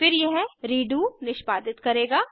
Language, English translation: Hindi, Then it will execute redo